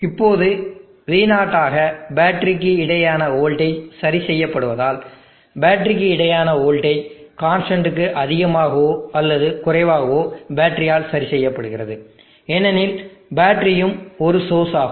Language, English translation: Tamil, Now as the V0 voltage across the battery is fixed, the voltage across the battery is more or less constant fixed by the battery, because the battery is also a source